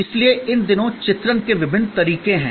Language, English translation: Hindi, So, there are different ways of depicting these days